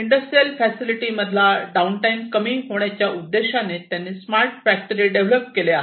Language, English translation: Marathi, And they have developed their smart factory, where the objective is to minimize the downtime in the industrial facility